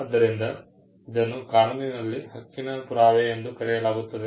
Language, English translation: Kannada, So, this in law be referred to as the proof of right